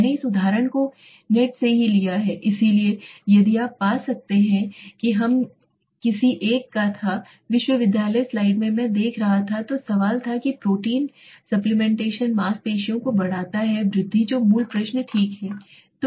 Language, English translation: Hindi, I have taken this example from the net only so in case you might find some it was from one of the universities slide I was see so the question was does protein supplementation increase muscle increase that is the basic question okay